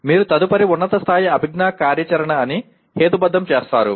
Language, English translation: Telugu, You rationalize that is next higher level cognitive activity